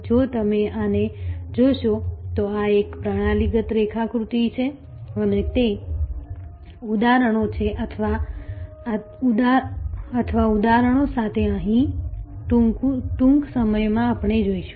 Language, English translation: Gujarati, If you look at this, this is a systemic diagram and we will see it is instances or here with the examples soon